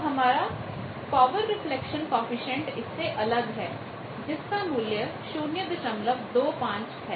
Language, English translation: Hindi, So, our power reflection coefficient is different that will be 0